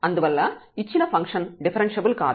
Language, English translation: Telugu, And hence the given function is not differentiable